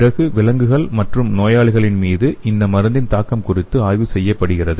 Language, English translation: Tamil, Then the effect of this drug on the animals and patients are studied